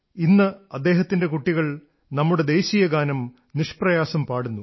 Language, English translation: Malayalam, Today, his children sing the national anthem of India with great ease